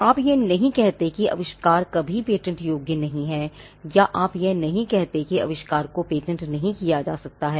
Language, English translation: Hindi, You do not say that the invention is never patentable or you do not say that the invention cannot be patented